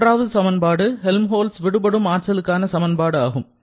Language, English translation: Tamil, Now, what was your definition for Helmholtz energy